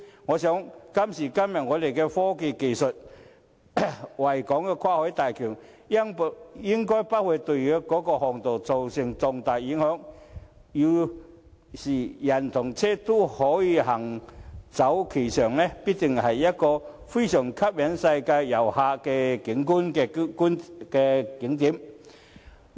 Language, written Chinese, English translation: Cantonese, 憑着今時今日的科技，維港跨海大橋應不會對航道造成重大影響，要是人車均可行走其上，必定成為一個非常吸引世界遊客的景點。, Given todays technology constructing a bridge crossing the Victoria Harbour should not have significant impacts on flight paths and vessel fairways . If the bridge is accessible by pedestrians and cars it will definitely become a very attractive attraction to visitors around the world